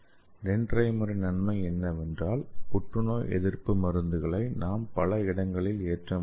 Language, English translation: Tamil, And the advantage of the dendrimer is we can load anti cancer drugs in several locations